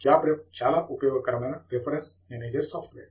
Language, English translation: Telugu, JabRef is a very useful reference manager software